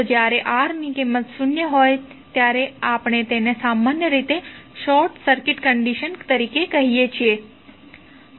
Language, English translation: Gujarati, So, when the value of R is zero, we generally call it as a short circuit condition